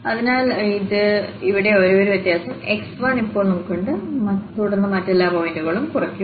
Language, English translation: Malayalam, So, here the only difference is now we have x 1 and then all other points will be subtracted